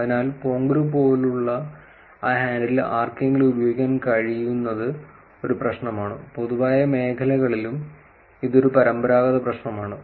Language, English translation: Malayalam, So, squatting of that handle like ponguru for somebody to actually use it is a problem and this is a traditional problem in general domains also